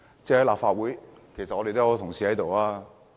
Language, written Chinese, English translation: Cantonese, 在立法會我們有很多同事。, We have a lot of colleagues in the Legislative Council